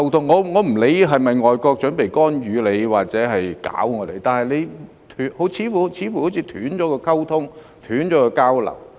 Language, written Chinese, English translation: Cantonese, 我不管外國是否準備干預或搞我們，但政府似乎是斷了溝通和交流。, I care not if foreign countries are ready to meddle in Hong Kongs affairs or mess with us but the Government seems to have cut off communication and exchanges with them